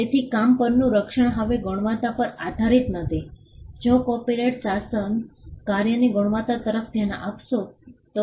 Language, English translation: Gujarati, So, the protection over the work is not dependent on the quality now had it been the case that the copyright regime would look into the quality of the work